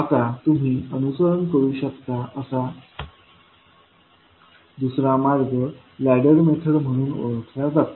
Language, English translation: Marathi, Now, another approach which you can follow is called as a ladder method